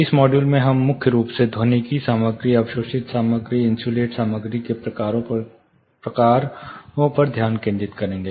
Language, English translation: Hindi, So, this module we primarily focus on types of acoustic material, observing materials, insulating materials